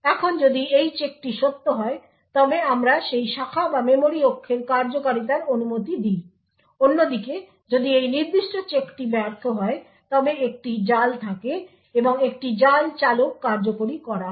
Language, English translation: Bengali, Now if this check holds true then we permit the execution of that branch or memory axis, on the other hand if this particular check fails then there is a trap and a trap handler is executed typically what would happen is that the object file would terminate